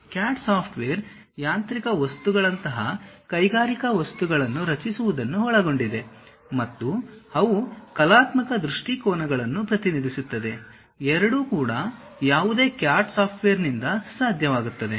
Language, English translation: Kannada, The CAD software consists of one creating industrial objects such as mechanical objects, and also they will represent artistic views, both are possible by any CAD software